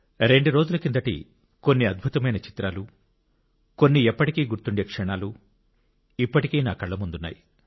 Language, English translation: Telugu, A few amazing pictures taken a couple of days ago, some memorable moments are still there in front of my eyes